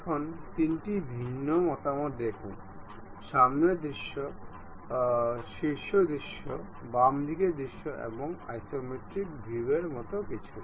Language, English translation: Bengali, Now, look at 3 different views, something like the front view, the top view, the left side view and the isometric view